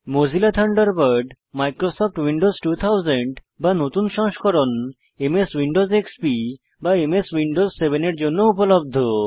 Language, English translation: Bengali, Mozilla Thunderbird is also available for Microsoft Windows 2000 or later versions such as MS Windows XP or MS Windows 7